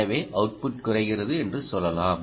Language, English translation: Tamil, so so lets say the output drops